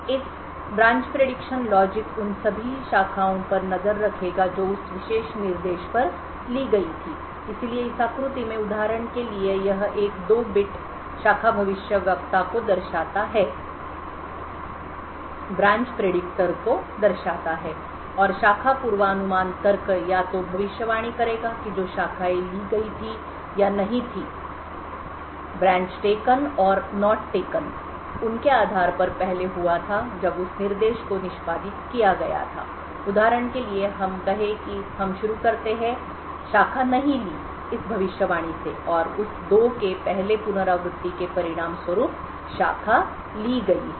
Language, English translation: Hindi, A branch prediction logic would keep track of all the branches that were taken at that particular instruction so for example in this figure it shows a 2 bit branch predictor and the branch prediction logic would either predict that the branches taken or not taken based on what had happened of previously when that instruction was executed so for example let us say that we start off with the prediction not taken and the first iteration of that 2 resulted in the branch being taken